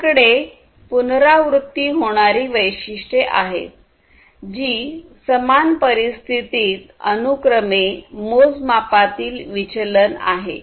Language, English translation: Marathi, Then we have the repeatability characteristic, which is the deviation from the measurements, in a sequence, under the same conditions